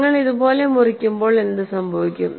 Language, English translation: Malayalam, And when you cut like this, what happens